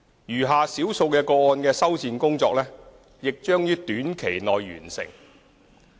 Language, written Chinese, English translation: Cantonese, 餘下少數個案的修繕工作亦將於短期內完成。, Repair works for the remaining small number of cases will be completed shortly